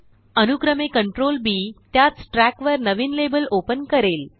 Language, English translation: Marathi, Consecutive Ctrl+B will open new labels on the same track